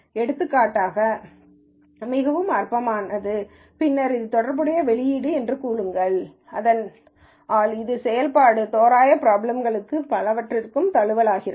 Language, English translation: Tamil, For example, very trivial, and then say that is the output corresponding to this, so that becomes of adaptation of this for function approximation problems and so on